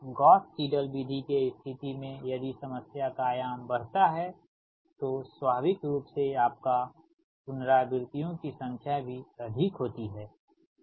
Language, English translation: Hindi, but in the case of gauss seidel method that if dimension of the problem increases, then naturally your what you call that number of beta resistance also much more